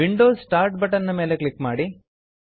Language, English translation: Kannada, Click on the Windows start button